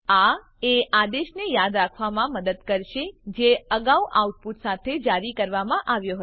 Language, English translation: Gujarati, This will helps remember command which were previously issued along with the outputs